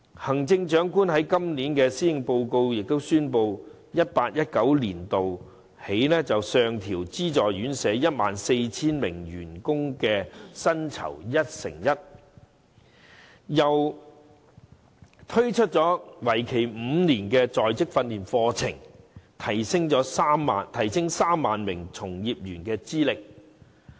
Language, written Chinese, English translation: Cantonese, 行政長官在今年的施政報告亦宣布，由 2018-2019 年度起，上調資助院舍 14,000 名員工的薪酬一成一，又推出為期5年的在職訓練課程，提升3萬名從業員資歷。, In the Policy Address this year the Chief Executive announced that from the year 2018 - 2019 onwards the salaries of the 14 000 employees of subsidized homes will be increased by 11 % and a five - year in - service training programme will be introduced to upgrade the qualification of 30 000 workers in the industry